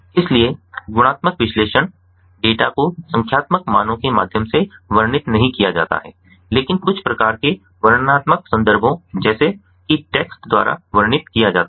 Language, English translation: Hindi, so qualitative analysis, data is not described through numerical values but are described by some sort of descriptive contexts, such as text